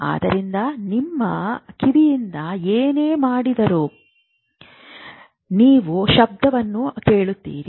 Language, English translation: Kannada, So, whatever you do with your ear, do this, you will hear a sound